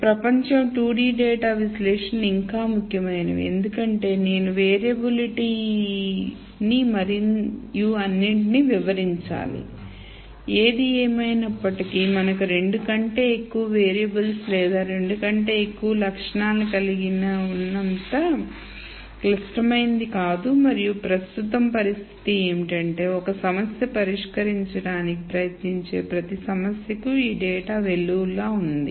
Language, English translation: Telugu, So, if world were 2 D data analytics is still important because I need to explain the variability and all that; however, it is not as critical as the case where we have many more than two variables or more than two attributes and the situation currently is that for every problem that one tries to solve there is this data deluge